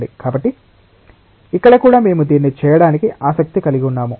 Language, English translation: Telugu, So, here also we are interested to do that